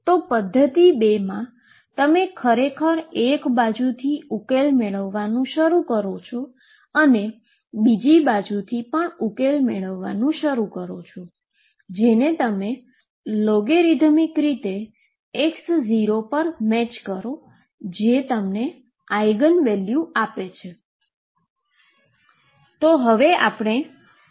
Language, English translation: Gujarati, In method 2, you actually start building up the solution from one side you start building up the solution from the other side and you match a logarithmic derivative at some point x 0 once that matches that gives you the Eigen value